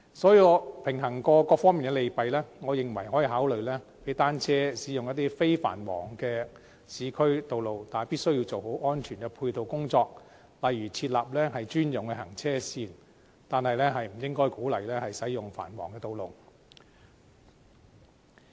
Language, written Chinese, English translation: Cantonese, 所以，經平衡各方面的利弊，我認為可以考慮讓單車駕駛者使用一些非繁忙的市區道路，但必須做好安全配套工作，例如設立專用行車線，但不應該鼓勵他們使用繁忙的道路。, So after weighing various pros and cons I think the Government may consider the idea of allowing cyclists to use certain non - busy urban carriageways . But it must put in place auxiliary safety measures such as designating dedicated lanes for cyclists . But it should not encourage them to use busy carriageways